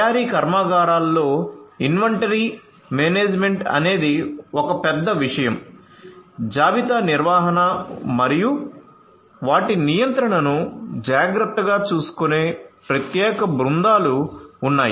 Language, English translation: Telugu, Inventory management is a huge thing in manufacturing plants is a huge thing there are separate teams which take care of inventory management and their control